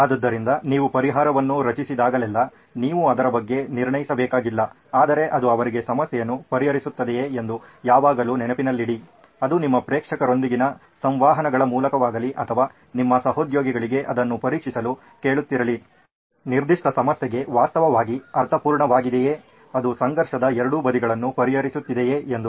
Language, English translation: Kannada, So, always bear in mind that whenever you generate a solution, you don’t have to judge on it but always check back whether it solves the problem for them, whether it be through interactions with your audience or asking your colleagues to check whether it actually makes sense for the particular problem, has it solved the conflict, is it addressing both sides of the conflict